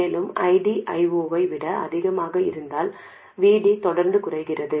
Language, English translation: Tamil, If ID is smaller than I 0, VD is actually increasing